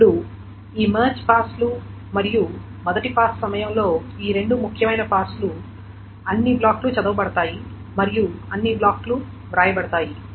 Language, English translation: Telugu, Now during each of these March passes and the first pass, so these are the two important passes, all the blocks are red and all the blocks are written